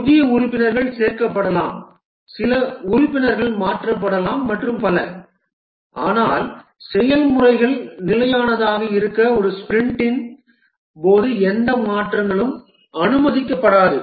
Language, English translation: Tamil, New members may be inducted, some member may be replaced and so on, but for the process to be stable, no changes are allowed during a sprint